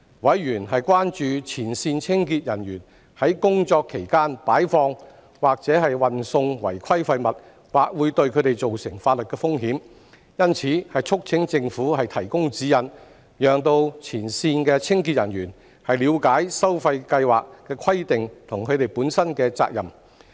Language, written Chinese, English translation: Cantonese, 委員關注前線清潔人員在工作期間擺放和運送違規廢物，或會對他們造成法律風險，因此促請政府提供指引，讓前線清潔人員了解收費計劃的規定和他們本身的責任。, As members are concerned that the deposit and delivery of non - compliant waste by frontline cleaning staff during work may pose legal risks to them they have urged the Government to provide guidance for frontline cleaning staff to enable them to understand the requirements under the charging scheme and their own responsibilities